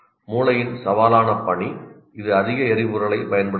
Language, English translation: Tamil, The more challenging brain task, the more fuel it consumes